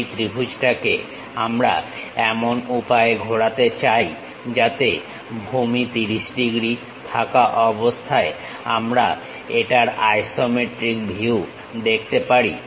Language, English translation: Bengali, This triangle we would like to rotate it in such a way that isometric view we can visualize it with base 30 degrees